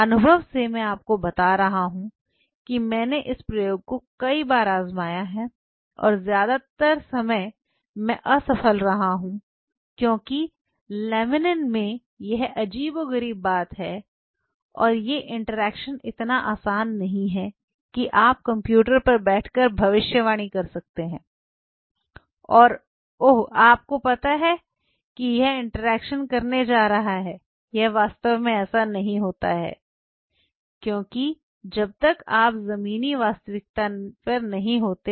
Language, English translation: Hindi, From experience I am telling you I have tried this experiment several times and most of the time I have failed because laminin has this peculiar and these interactions are not so easy that you can predict sitting on a computer and oh you know this is going to interact it really does not happen like that because unless you are at the ground reality